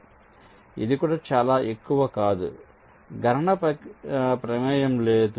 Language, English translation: Telugu, so this is also not very not computationally involved